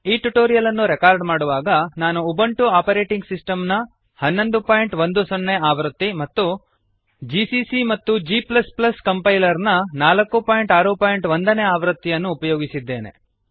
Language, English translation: Kannada, To record this tutorial, I am using: Ubuntu 11.10 as the operating system gcc and g++ Compiler version 4.6.1 in Ubuntu